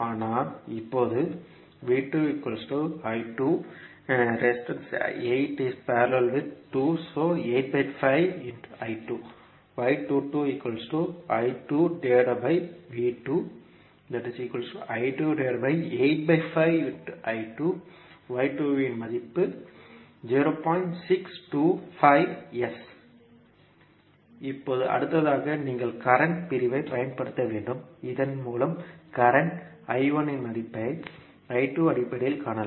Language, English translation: Tamil, Now, next again you have to use the current division, so that you can find the value of current I 1 in terms of I 2